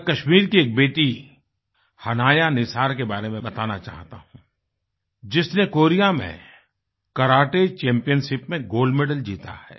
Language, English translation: Hindi, Let me tell you about one of our daughters from Kashmir who won a gold medal in a Karate Championship in Korea